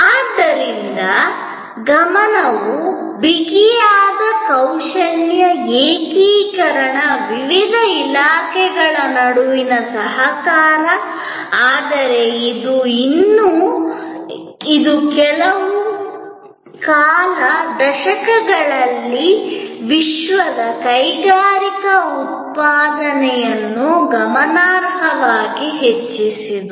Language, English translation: Kannada, So, the focus was on tighter value integration, closer cooperation among the various departments, but it still, it increased worlds industrial output significantly over the last few decades